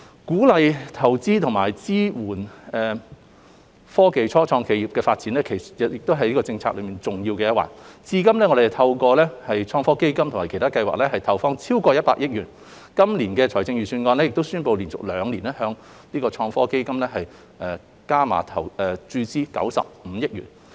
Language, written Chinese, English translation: Cantonese, 鼓勵投資及支援科技初創企業發展亦是政策內的重要一環，至今我們透過"創新及科技基金"及其他計劃已投放超過100億元，今年的財政預算案亦已宣布會連續兩年向創科基金加碼合共注資95億元。, The Government has so far committed more than 110 billion to further enhance Hong Kongs IT ecosystem of which encouraging investment and supporting technology start - ups have formed an integral part with more than 10 billion being devoted through the Innovation and Technology Fund ITF and other schemes . It is also announced in this years Budget that the Government would inject 9.5 billion in total to ITF two years in a row